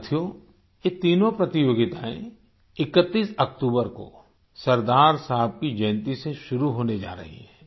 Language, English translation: Hindi, these three competitions are going to commence on the birth anniversary of Sardar Sahib from 31st October